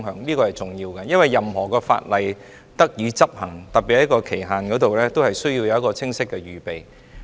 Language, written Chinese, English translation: Cantonese, 這是重要的，因為任何法例若要得以執行，都需要在期限方面有清晰的預備。, This point is important because preparations should be made for the implementation of the legislation within the specified period